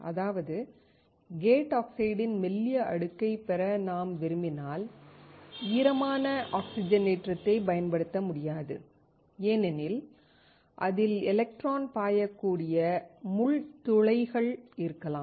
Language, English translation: Tamil, That means, if I want to have a thin layer of gate oxide, then I cannot use wet oxidation because it may have the pin holes through which the electron can flow